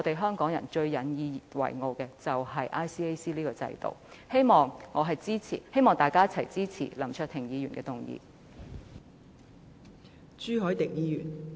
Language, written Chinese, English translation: Cantonese, 香港人最引以自豪的就是 ICAC 這個制度，希望大家一同支持林卓廷議員的議案。, Hong Kong people are most proud of the system of ICAC and let us come together to support Mr LAM Cheuk - tings motion